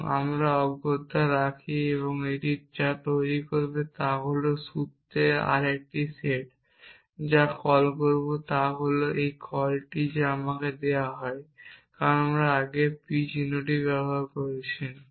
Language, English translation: Bengali, And we put this essentially and what this will produce is another set of formulize which we will call is what is the call this that is let me, because I use the symbol p earlier